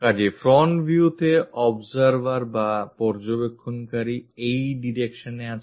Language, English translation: Bengali, So, front view, the observer is observer is in this direction